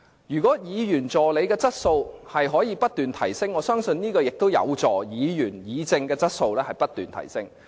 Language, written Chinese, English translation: Cantonese, 如果議員助理的質素不斷提升，我相信議員議政的質素也會不斷提升。, Should the quality of the assistants continue to be upgraded I believe the quality of policy deliberations by Members will continue to be upgraded as well